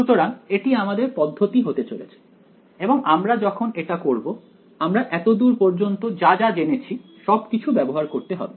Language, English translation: Bengali, So, that is going to be the approach and we will now when we do this, we will have to apply everything that we have learned so far ok